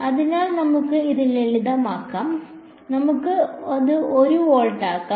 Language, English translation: Malayalam, So, let us make that simple, let us even just make it 1 volt